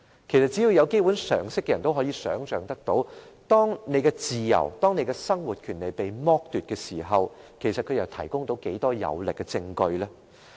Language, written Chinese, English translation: Cantonese, 其實，只要有基本常識的人，也可以想象到當一個人的自由和生活權利被剝奪時，他們又可以提供到多少有力證據呢？, Actually anyone with basic common sense can image this How much forceful evidence can be furnished by a person when he is deprived of the right to free movement and living?